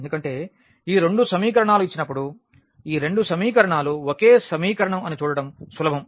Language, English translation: Telugu, Because, when these two equations are given it was easy to see that these two equations are the same equation